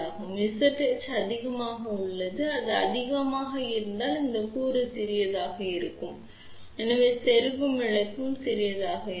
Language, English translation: Tamil, So, Z h is high if it is high this component will be small hence insertion loss will be small